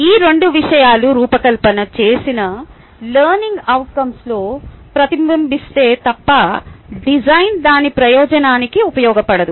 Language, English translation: Telugu, unless these two things are reflected in the design learning outcome, the design is not going to be ah serving its purpose